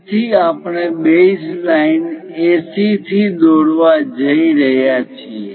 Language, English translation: Gujarati, So, we are going to construct from the base line AC